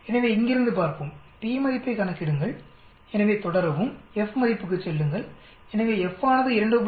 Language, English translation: Tamil, So let us look from here, calculate p value so we say continue, go to F value so F is 2